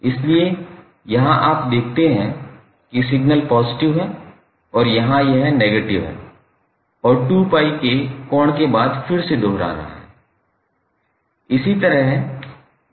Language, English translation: Hindi, So, here you see the signal is positive and here it is negative and again it is repeating after the angle of 2 pi